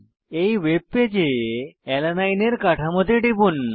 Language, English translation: Bengali, Click on Alanine structure on this webpage